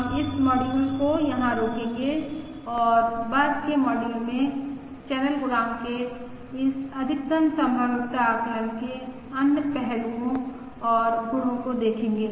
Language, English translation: Hindi, We will stop this module here and look at other aspects and properties of this maximum likelihood estimate of the channel coefficient in the subsequent modules